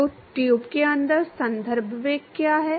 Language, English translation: Hindi, So, what is the reference velocity inside the tube